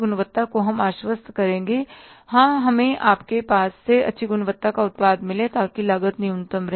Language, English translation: Hindi, Quality we will ensure that, yes, we have to have the good quality product from you so that the cost remains minimum